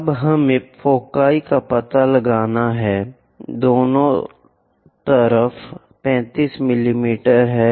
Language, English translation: Hindi, Now, we have to locate foci which is at 35 mm on either side